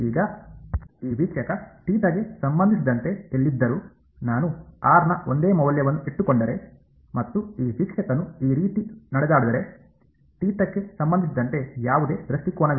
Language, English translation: Kannada, Now wherever this r observer is with respect to theta; if I keep the same value of r and this observer walks around like this, there is no orientation with respect to theta anymore right